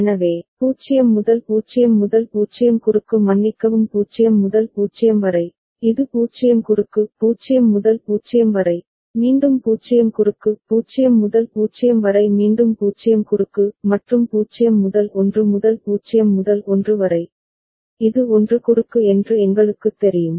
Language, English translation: Tamil, So, 0 to 0 0 cross sorry 0 to 0, this is 0 cross; 0 to 0, again 0 cross; 0 to 0 again 0 cross; and 0 to 1 0 to 1, we know this is 1 cross